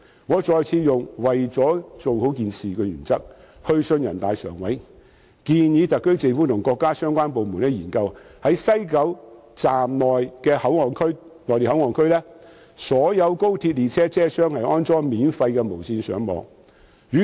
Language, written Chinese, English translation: Cantonese, 我再次秉持"為了把事情做好"的原則，去信人大常委會，建議特區政府和國家相關部門在西九龍站的內地口岸區及所有高鐵列車車廂內安裝免費無線上網設施。, Once again under the principle of getting the job done I have written to the Standing Committee of NPC NPCSC suggesting the Government and relevant Mainland authorities to install free Wi - Fi facilities in MPA at WKS and on all XRL trains